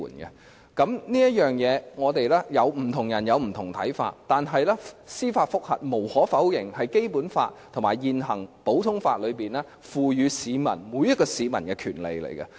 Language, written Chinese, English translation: Cantonese, 就司法覆核來說，不同人有不同的看法，但無可否認，司法覆核是《基本法》和現行普通法賦予每一位市民的權利。, On the question of judicial review different people may have different views but there is no denying that judicial review is a right given to each and every citizen by the Basic Law and common law in force